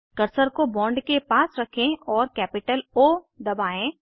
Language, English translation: Hindi, Place the cursor near the bond and press capital O